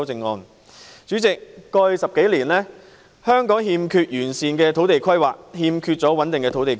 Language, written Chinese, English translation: Cantonese, 代理主席，過去10多年，香港一直欠缺完善的土地規劃和穩定的土地供應。, Deputy President over the past 10 years and more Hong Kong has been lacking comprehensive land planning and a stable land supply